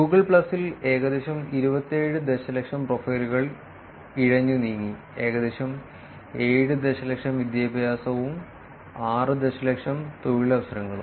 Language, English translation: Malayalam, In Google plus that are about 27 million profiles that were crawled and about 7 million education and 6 million employment